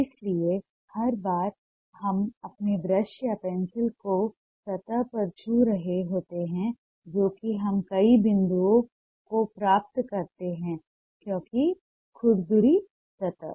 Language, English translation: Hindi, so every time we are touching our brush or pencil on the surface, we end up getting multiple points because of the rough surface